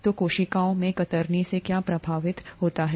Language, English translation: Hindi, So what gets affected by shear in cells